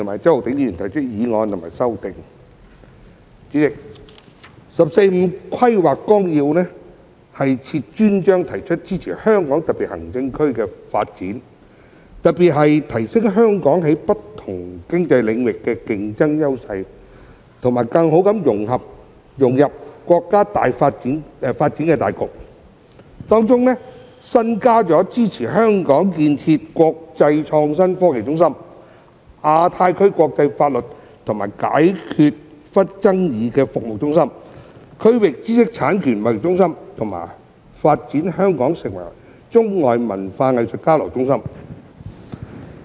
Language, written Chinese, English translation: Cantonese, 代理主席，《十四五規劃綱要》設有專章，提出支持香港特別行政區的發展，特別是提升香港在不同經濟領域的競爭優勢和更好地融入國家發展大局，並首次提出支持香港建設國際創新科技中心、亞太區國際法律及解決爭議服務中心和區域知識產權貿易中心，以及發展香港成為中外文化藝術交流中心。, Deputy President the Outline of the 14th Five - Year Plan dedicates a chapter setting out strategies to support the development of the Hong Kong Special Administrative Region in particular to enhance Hong Kongs competitive advantages in all spheres of economic activity and help Hong Kong better integrate into the overall development of the country . It also indicates for the first time support for developing Hong Kong into an international innovation and technology hub a centre for international legal and dispute resolution services in the Asia - Pacific region a regional intellectual property trading centre and a hub for arts and cultural exchanges between China and the rest of the world